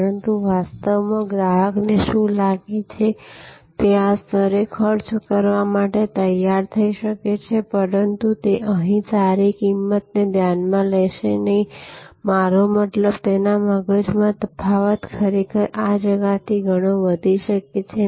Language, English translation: Gujarati, But, in reality, what the customer feels that, he might have been prepare to spend at this level, but he will not considering a good price here, I mean in his mind, the difference can actually go from this gap to actually a much smaller gap